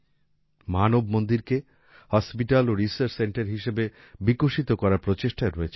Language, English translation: Bengali, Efforts are also on to develop Manav Mandir as a hospital and research centre